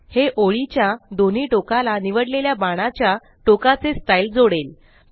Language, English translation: Marathi, This will add the selected style of arrowheads to both ends of the line